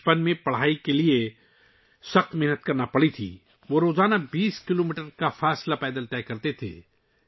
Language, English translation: Urdu, In his childhood he had to work hard to study, he used to cover a distance of 20 kilometers on foot every day